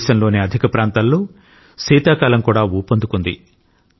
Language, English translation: Telugu, A large part of the country is also witnessing the onset of winter